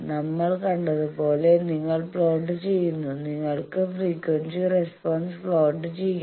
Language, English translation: Malayalam, You plot as we have seen that, you can plot the frequency response